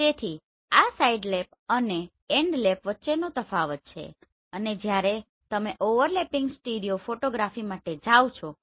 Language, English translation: Gujarati, So this is the difference between Sidelap and Endlap and when you are going for a overlapping stereo photography